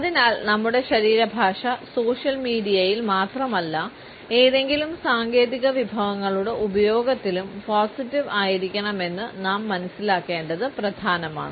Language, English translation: Malayalam, And therefore, it is important for us to understand that our body language not only on social media, but in the use of any technological resources should be positive